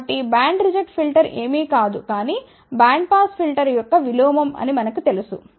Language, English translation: Telugu, So, we know that band reject filter is nothing, but inverse of bandpass filter